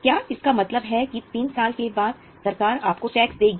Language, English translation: Hindi, Does it mean after three years government will pay you tax